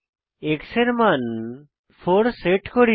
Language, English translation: Bengali, we set the value of x as 4